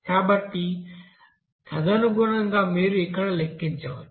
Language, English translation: Telugu, So accordingly you can calculate here